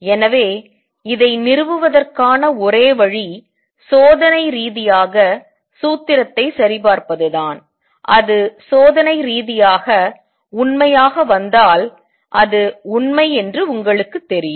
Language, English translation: Tamil, So, let me write this the only way to establish this is to verify the formula experimentally and if it comes out true experimentally then you know it is a relationship which is true